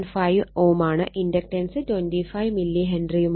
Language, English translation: Malayalam, 5 ohm, inductance is 25 milli Henry